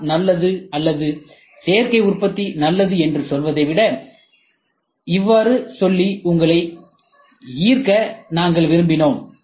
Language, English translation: Tamil, So, this is what we wanted to impress you rather than saying CNC is good or RM is good or additive manufacturing is good